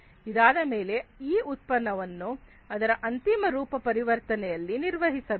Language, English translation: Kannada, Then this product has to be built in its final form conversion